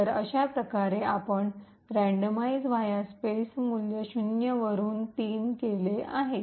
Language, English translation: Marathi, So in this way we have changed the value of randomize underscore VA underscore space from 0 to 3